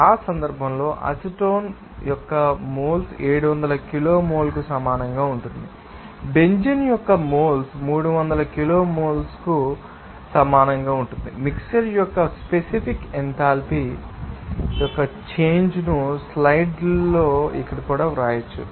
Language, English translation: Telugu, So, in that case, the moles of acetone will be equal to 700 kilomole whereas, moles of benzene will be equal to 300 kilomole the change of mixture specific enthalpy can be written as here in the slides